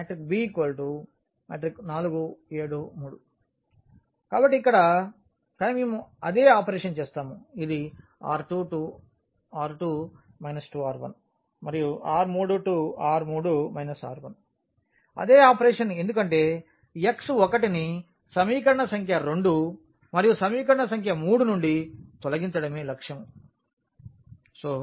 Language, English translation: Telugu, So, here, but we will be doing the same operations this R 2 minus this 2R 1 and R 3 minus this R 1, the same operation because the aim is to eliminate x 1 from equation number 2 and equation number 3